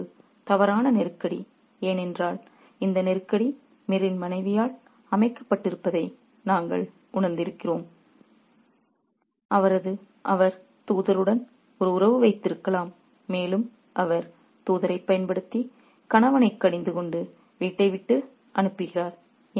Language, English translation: Tamil, It's a false crisis because we realize that the crisis has been set up by Mir's wife who is kind of having an affair with the messenger probably and she uses the messenger to rebuke the husband and send him away from home